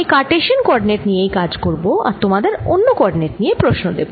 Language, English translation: Bengali, i'll work in terms of cartesian coordinates and then give you a problems for other coordinates systems